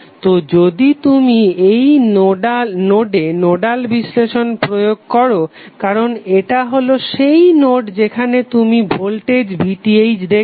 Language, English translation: Bengali, So if you apply the nodal analysis at this node because this is the node where you are seeing the voltage VTh